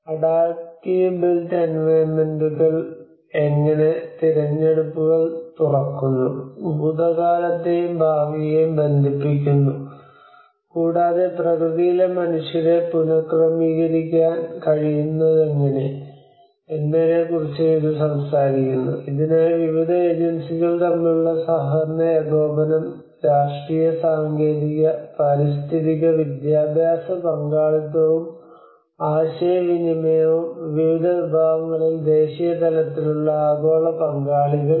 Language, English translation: Malayalam, And this also talks about how the adaptive built environments open up choices, connect past and future, and how it can reintegrate the humans in nature for which cooperation coordination between various agencies political, technological, ecological, educational and as well as the participation and communication across various segments the global actors in the National